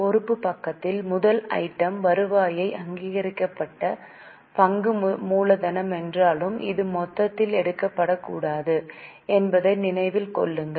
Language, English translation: Tamil, In liability side the first item written is authorize share capital although keep in mind that this is not to be taken in the total